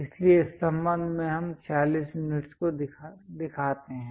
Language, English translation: Hindi, So, with respect to that we show 46 units